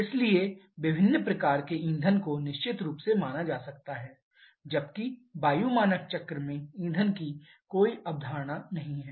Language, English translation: Hindi, So, various kinds of fuels can definitely be considered whereas there is no concept of fuel at all in the air standard cycle